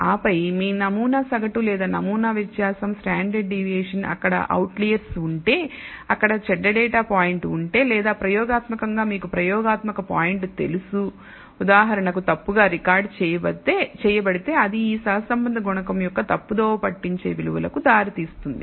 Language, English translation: Telugu, That is generally recommended and then like the your sample mean or the sample variance standard deviation if there are outliers if there is one bad data point or experimentally you know experimental point which is wrongly recorded for example, that can lead to misleading values of this correlation coefficient